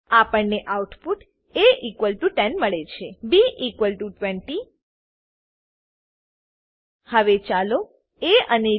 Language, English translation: Gujarati, We get the output as a=10 b=20 Now lets swap a and b